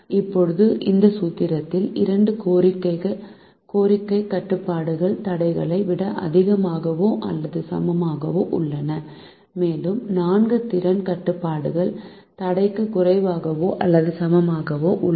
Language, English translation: Tamil, now when this formulation, the two demand constrain are greater than or equal to constrain and the four capacity constraints are less than or equal to constraint